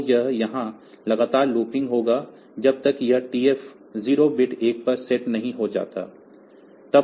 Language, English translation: Hindi, So, this will be continually looping here, till this TF 0 bit is set to 1